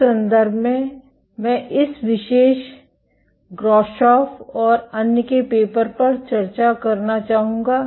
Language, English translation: Hindi, In that regard I would like to discuss this particular paper Grashoff et al